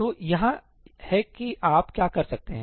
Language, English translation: Hindi, So, here is what you can do